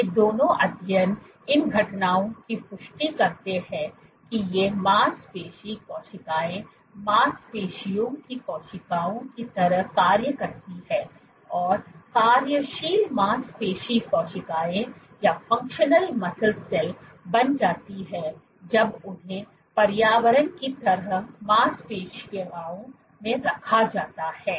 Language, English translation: Hindi, Both these studies reaffirm these phenomena that these muscle cells behave like muscle cells the function like becomes functional muscle cells when they are placed in a muscle like environment